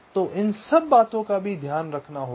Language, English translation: Hindi, so all this things also have to be taken care of, right